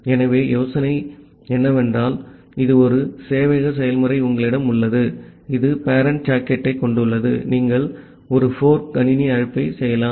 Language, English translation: Tamil, So the idea is something like this you have a server process, which is having the parent socket then, you can make a fork system call